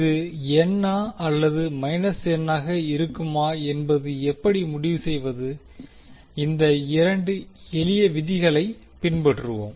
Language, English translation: Tamil, How we will decide whether it will be n or minus n, we will follow these 2 simple rules